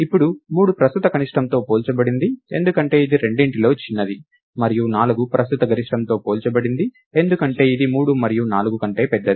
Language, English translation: Telugu, Now 3 is compared with the current minimum, because its the smaller of the two, and 4 is compared with the current maximum, because it is larger of 3 and 4